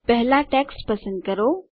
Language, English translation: Gujarati, First select the text